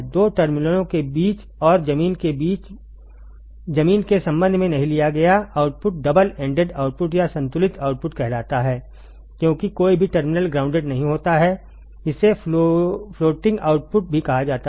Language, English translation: Hindi, The output taken between two terminals and not with respect to the ground is called double ended output or balanced output as none of the terminals is grounded it is also called floating output